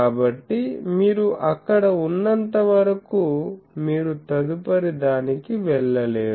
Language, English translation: Telugu, So, unless and until you be there you would not be able to go to the next one